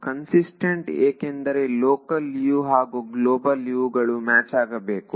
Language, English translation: Kannada, Consistent because the local Us and the global Us have to match